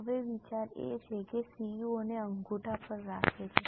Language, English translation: Gujarati, Now, the idea is that keeps CEO on toe